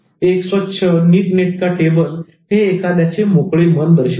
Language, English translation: Marathi, A clean table indicates an open mind